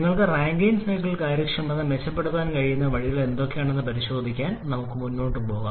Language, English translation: Malayalam, Now let us move on to check out what are the ways you can improve the efficiency of Rankine cycle